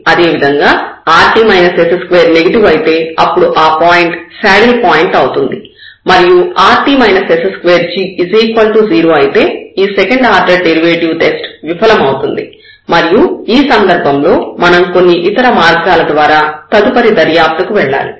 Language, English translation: Telugu, Similarly when this is negative rt minus s square then, this comes out to be a saddle point and if this rt minus s square is 0 then, this test of the second derivatives this fails and we need to go for further investigation by some other ways